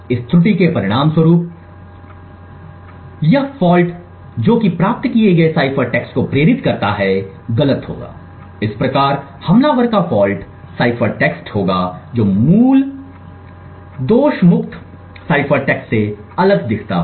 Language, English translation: Hindi, As a result of this error or this fault that is induced the cipher text that is obtained would be incorrect thus the attacker would have a faulty cipher text which looks different from the original fault free cipher text